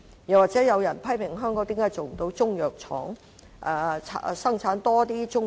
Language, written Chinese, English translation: Cantonese, 此外，又有人批評香港為何不能設立中藥廠，生產更多的中藥。, Besides some people criticize Hong Kong for not establishing Chinese medicine factories to produce Chinese medicinal products